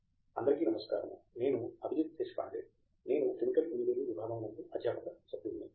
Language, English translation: Telugu, Hi, I am Abhijit Deshpande, I am a faculty member in Department of Chemical Engineering